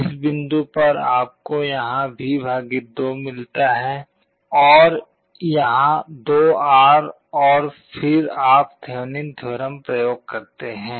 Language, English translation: Hindi, At this point you get V / 2 here, and 2R here and again you apply Thevenin’s theorem